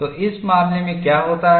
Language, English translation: Hindi, So, in this case what happens